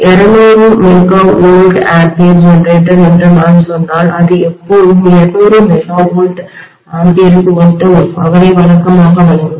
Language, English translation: Tamil, If I say it is 200 MVA generator it will always be delivering a power corresponding to 200 MVA normally